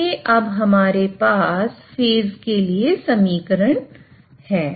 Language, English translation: Hindi, So, that gives us phase at a